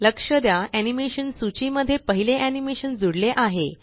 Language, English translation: Marathi, Notice, that the first animation has been added to the list of animation